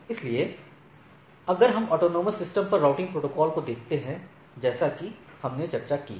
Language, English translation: Hindi, So, if we look at the routing protocols at the autonomous systems as we have discussed